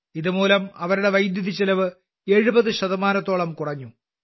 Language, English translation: Malayalam, Due to this, their expenditure on electricity has reduced by about 70 percent